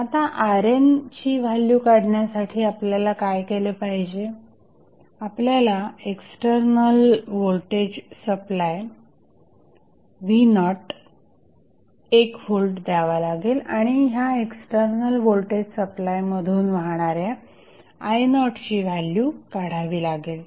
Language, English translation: Marathi, Now, to find out the value of R n what we have to do, we have to apply external voltage supply V naught that is equal to 1 volt and find out the value of I naught which is flowing through this external voltage source